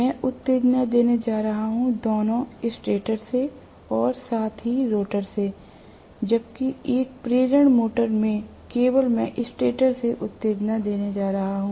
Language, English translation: Hindi, I am going to give excitation, both from the stator as well as rotor whereas in an induction motor I am going to give excitation only from the stator